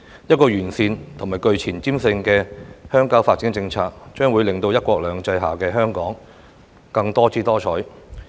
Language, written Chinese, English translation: Cantonese, 完善而具前瞻性的鄉郊發展政策，將會令"一國兩制"下的香港更多姿多采。, A sound and forward - looking rural development policy will make Hong Kong an even more colourful place under the principle of one country two systems